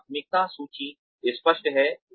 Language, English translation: Hindi, The priority list is clearer